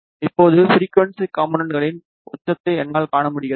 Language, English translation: Tamil, Now, I can see the peak of the frequency component